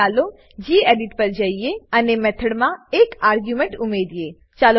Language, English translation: Gujarati, Now let us go back to gedit and add an argument to the method